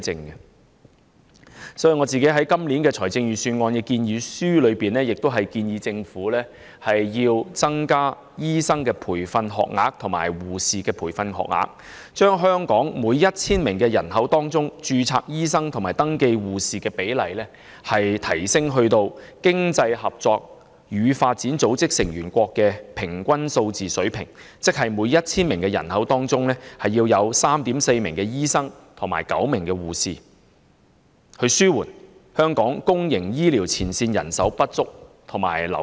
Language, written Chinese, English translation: Cantonese, 因此，我就今年的財政預算案向政府提出建議，增加醫生及護士培訓學額，把香港每 1,000 名人口的註冊醫生和登記護士的比例，提升至經濟合作與發展組織成員國的平均數字水平，即每 1,000 名人口有 3.4 名醫生及9名護士，以紓緩香港公營醫療機構前線人手不足和流失。, Hence in respect of this years Budget I advised the Government to increase the number of places in local universities for training doctors and nurses with a view to increasing the doctor - to - population ratio and nurse - to - population ratio in Hong Kong to the average levels set by the Organisation for Economic Co - operation and Development OECD for its member states that is 3.4 doctors and 9 nurses per 1 000 population . This is meant to help alleviate manpower shortage and wastage of frontline staff in Hong Kongs public health sector